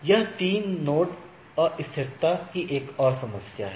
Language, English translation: Hindi, So, this is another problem of three node level instability right